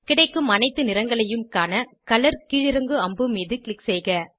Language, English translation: Tamil, Click on Color drop down arrow to view all the available colours